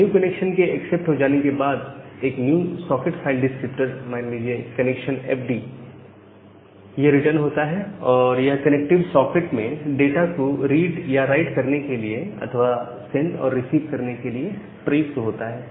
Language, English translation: Hindi, Now, once this new connection is accepted, then the new socket file descriptor say, the connection fd it is written, which is used to read and write data or to send and receive data to the connective socket